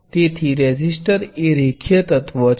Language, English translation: Gujarati, So, a resistor is very much a linear element